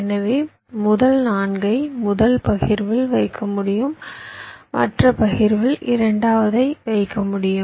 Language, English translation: Tamil, so the first four i can keep in the first partition, second in the other partition